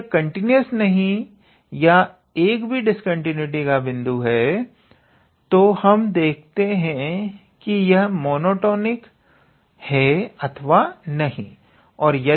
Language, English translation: Hindi, If they are not continuous or if there is even one point of discontinuity, then we check I mean whether they are monotonic or not